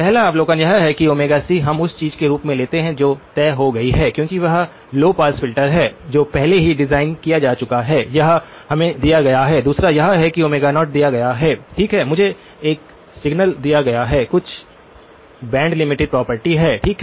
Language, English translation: Hindi, The first observation is that Omega c, we can treat as something that is fixed because that is the low pass filter that has already been designed and it is given to us, Omega c, I want to treat it as fixed, second one is that Omega naught is given, right I am given a signal with a certain band limited property, okay